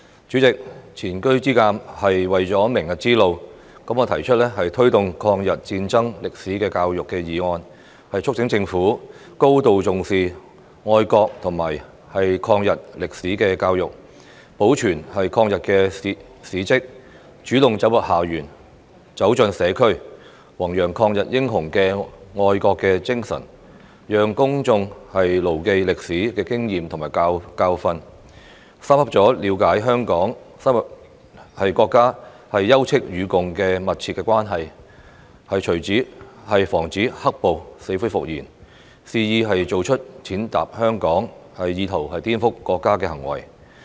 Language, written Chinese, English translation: Cantonese, 主席，前車之鑒是為了明日之路，我提出"推動抗日戰爭歷史的教育"議案，促請政府高度重視愛國和抗日歷史的教育，保存抗日的事蹟，主動走進校園、走進社區，宏揚抗日英雄的愛國精神，讓公眾牢記歷史的經驗和教訓，深刻了解香港與國家休戚與共的密切關係，以防止"黑暴"死灰復燃，肆意做出踐踏香港、意圖顛覆國家的行為。, President we learn from the past in order to walk the path in the future . My motion on Promoting education on the history of War of Resistance against Japanese Aggression seeks to urge the Government to attach great importance to the education on patriotism and the history of the War of Resistance against Japanese Aggression preserve the relics of the war take the initiative to go into schools and the community to promote the patriotic spirit of anti - Japanese war heroes in schools and community so that the public will bear in mind the lesson learnt from history and understand profoundly the interlinked relationship between Hong Kong and the country so as to prevent the resurgence of the black - clad violence from wantonly trampling on Hong Kong and attempting to subvert the state